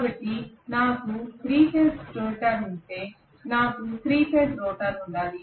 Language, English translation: Telugu, So if I have 3 phase stator I have to have a 3 phase rotor